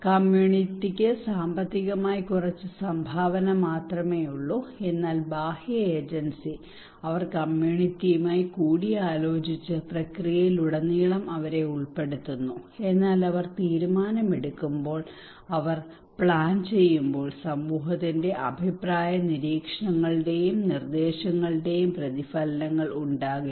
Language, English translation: Malayalam, Community has less contribution financially then what is the case that the external agency they consult with the community they involve them throughout the process, but when they make the decision, when they make the plan there is no reflections of community’s opinions observations and suggestions